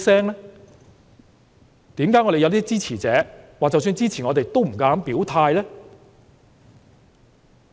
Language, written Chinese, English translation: Cantonese, 為何我們有些支持者即使支持我們，也不敢表態？, Why do some of our supporters dare not make their positions known even though they support us?